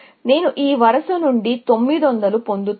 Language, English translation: Telugu, I will get 900 from this row